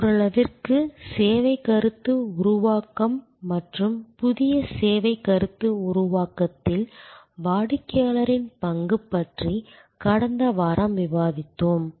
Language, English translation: Tamil, To some extent we have discussed about the service concept generation and the role of the customer in new service concept generation, last week